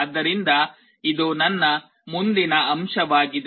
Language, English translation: Kannada, So, this is my next point